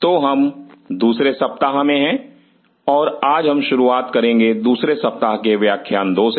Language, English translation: Hindi, So, we are into the second week and today we are starting the second lecture of the second week